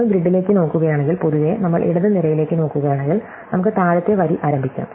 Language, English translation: Malayalam, So, if you look at our grid, in general, then if we look at the leftmost column, let us start the bottom row